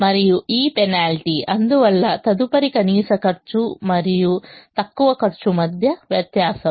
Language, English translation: Telugu, and this penalty, therefore, is the difference between the next last cost and the least cost